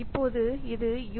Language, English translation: Tamil, You can see U